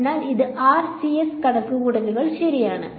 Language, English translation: Malayalam, So, this is RCS calculations ok